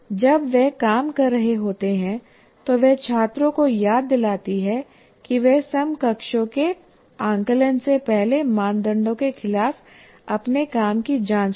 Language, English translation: Hindi, While they're working, she reminds students to check their own work against the criteria before the peer assessment